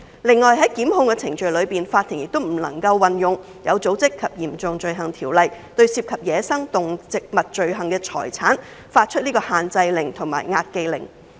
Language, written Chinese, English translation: Cantonese, 另外，在檢控程序中，法庭也不能運用《有組織及嚴重罪行條例》，對涉及走私野生動植物罪行的財產發出限制令或押記令。, Moreover during the prosecution process the Courts may not use OSCO to issue restraint or charging orders over property representing the benefits of crimes involving wildlife trafficking